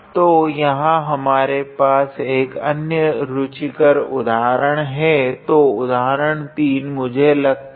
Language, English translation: Hindi, So, here we have an another interesting example; so, example 3 I believe